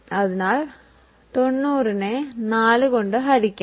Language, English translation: Malayalam, So, we will simply divide 90 by 4